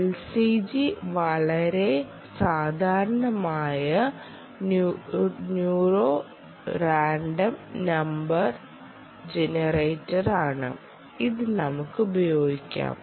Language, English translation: Malayalam, l c g is a very common ah sudo random number generator and this can be used